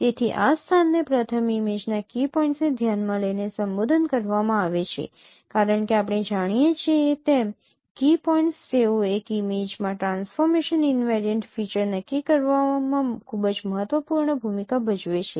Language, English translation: Gujarati, So this locality is first addressed by considering the key points of an image because key points as we understand they play a very important role in defining transformation invariant features in an image